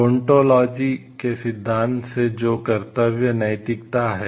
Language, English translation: Hindi, From the theory of deontology that is the duty ethics